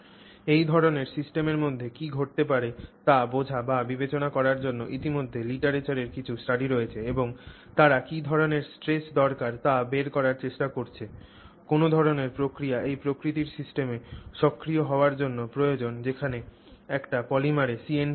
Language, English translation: Bengali, So, to understand or to consider what might happen inside this kind of a system, already there are some studies in the literature and they have tried to figure out what kind of stresses are required for what kind of mechanism to become active in systems of this nature where you have a C&T in a polymer